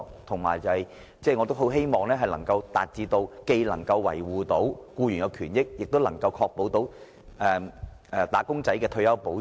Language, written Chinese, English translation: Cantonese, 我也十分希望政府既能維護僱員權益，也能確保"打工仔"獲得退休保障。, I very much hope that the Government can uphold the employees interests and ensure that wage earners will enjoy retirement protection